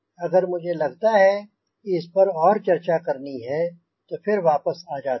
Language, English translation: Hindi, if i find you know in need to talk more on this, then i come back again